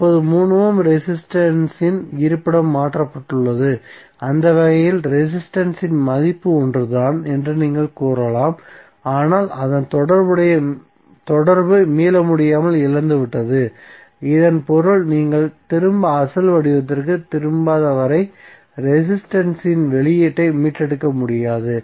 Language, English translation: Tamil, Means now, the location of 3 ohm resistance have been changed so, in that way you can say that resistor value is same but, its association has been irretrievably lost, it means that you cannot retrieve the output of the resistor until unless you reverted back to the original form